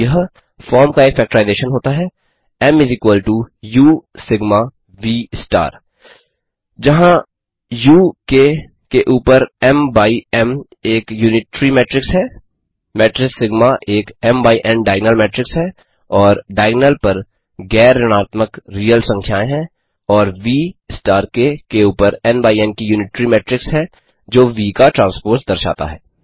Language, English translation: Hindi, Then there exists a factorization of the form M = U Sigma V star where U is an unitary matrix over K, the matrix Sigma is an diagonal matrix and the non negative real numbers on the diagonal, and V* is an unitary matrix over K,which denotes the conjugate transpose of V